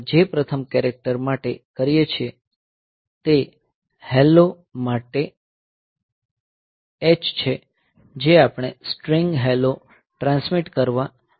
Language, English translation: Gujarati, So, what we do first character is H for the hello we want to transmit the string hello